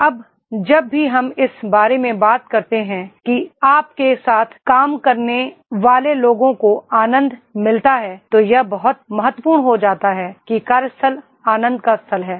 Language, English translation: Hindi, Now whenever when we talk about that is the enjoy the people you work with, so it becomes very important that is the workplace is a place of joy